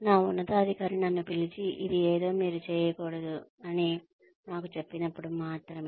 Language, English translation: Telugu, Only, when my superior calls me, and tells me that, this is something, you should not be doing